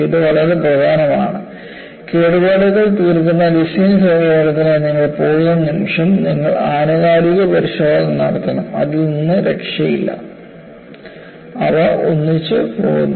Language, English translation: Malayalam, This is very important, the moment you come for damage tolerant design approach, you have to do periodic inspection; there is no escape from that they go together